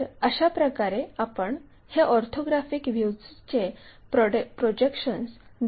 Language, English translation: Marathi, This is the way we represent that, when we are showing this orthographic views projections